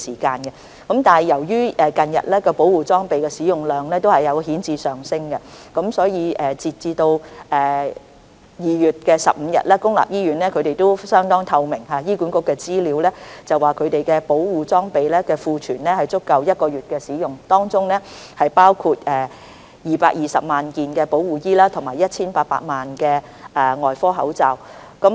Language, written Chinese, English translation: Cantonese, 近日保護裝備的使用量顯著上升，截至2月15日，醫管局的資料相當透明，顯示公立醫院的保護裝備的庫存量足夠使用1個月，當中包括220萬件保護衣及 1,800 萬個外科口罩。, As the consumption of PPE has increased significantly recently as at 15 February the stockpile of PPE in public hospitals―the information of HA is highly transparent―which includes 2.2 million protective gowns and 18 million surgical masks would be adequate for about one months consumption